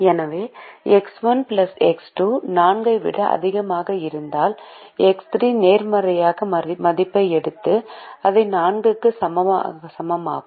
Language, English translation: Tamil, so x one plus x two greater than or equal to four is now written as x one plus x two minus x three equals to four